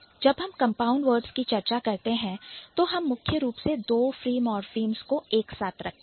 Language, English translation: Hindi, And when we say compound word, we are mainly trying to put it, put two free morphemes together